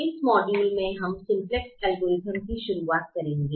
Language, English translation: Hindi, in this module we will be introducing the simplex algorithm